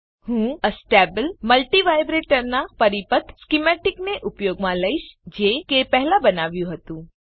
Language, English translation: Gujarati, I will use the circuit schematic of Astable multivibrator which was created earlier